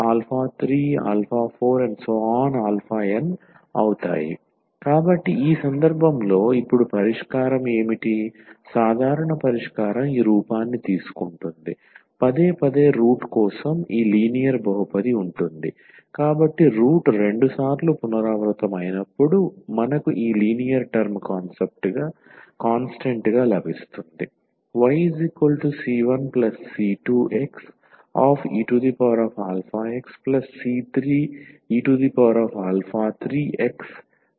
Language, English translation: Telugu, So, in this case what would be solution now the general solution will take this form, for the repeated root you will have this linear polynomial, so when the root is repeated 2 times we will get this linear term here with the constant